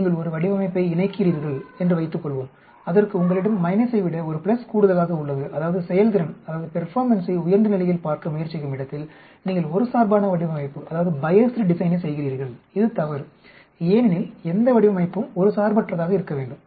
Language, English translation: Tamil, Suppose you pair a design where you have one more pluses than minus, that means you are doing biased design where you are trying to look at the performance at higher level, which is wrong because any design should be unbiased